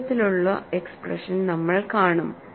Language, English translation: Malayalam, We would see that kind of expressions also